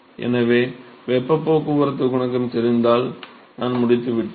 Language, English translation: Tamil, So, if we know the heat transport coefficient I am done